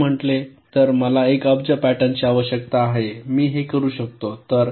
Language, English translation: Marathi, if i say that i need one billion patterns, fine, i can do that